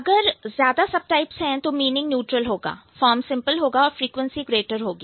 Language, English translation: Hindi, If there are more subtypes then the meaning is neutral, form is simpler and frequency is greater